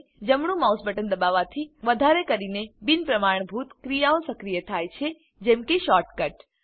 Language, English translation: Gujarati, Pressing the right mouse button, activates more non standard actions like shortcuts